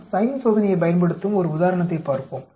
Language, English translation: Tamil, Let us look at an example which uses the sign test